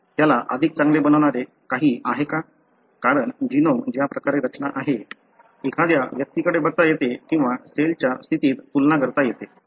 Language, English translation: Marathi, Is there anything that makes him better, because the way the genome is organized, one can look at, or comparison between cell state